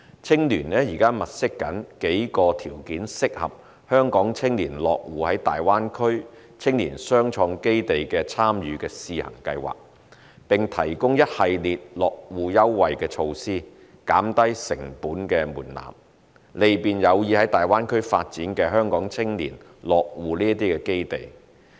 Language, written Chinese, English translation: Cantonese, 青聯現正物色數個條件適合香港青年落戶的大灣區青年雙創基地參與試行計劃，並提供一系列落戶優惠措施，降低成本門檻，利便有意在大灣區發展的香港青年落戶這些基地。, HKUYA is currently identifying several entrepreneurial bases in the Greater Bay Area suitable for aspiring Hong Kong youth entrepreneurs to join the pilot scheme . A series of concessionary measures associated with business start - up will also be offered to lower the threshold cost so as to facilitate those young people who are interested in the Greater Bay Area in establishing footing in these entrepreneurial bases